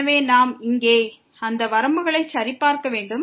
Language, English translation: Tamil, So, we have to check those limits here